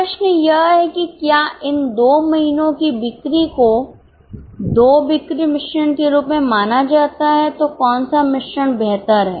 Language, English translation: Hindi, The question is if these two months sales are treated as two sales mix, which mix is better